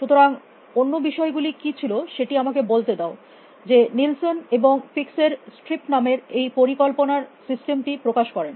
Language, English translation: Bengali, So, let me say, what was other staff so Nilsson and fikes demonstrated this planning system call strips